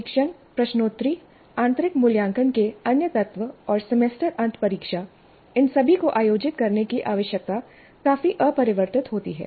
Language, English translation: Hindi, The tests, the quizzes, other components of internal assessment, and finally the semester and examination, when all these need to be conducted, is fairly rigid